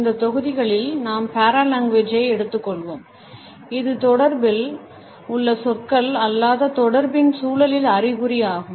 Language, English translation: Tamil, In this module we would take up Paralanguage and it is connotations in the context of nonverbal aspects of communication